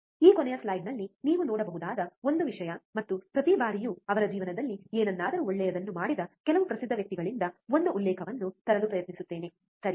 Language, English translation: Kannada, One thing that you can see on this last slide also and every time I will try to bring one quote from some famous guy who has done something good in his life, right